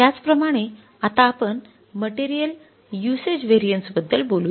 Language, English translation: Marathi, Similarly you talk about the material usage variance